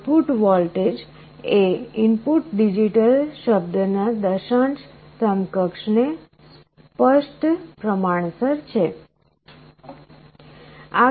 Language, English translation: Gujarati, The output voltage is clearly proportional to the decimal equivalent of the input digital word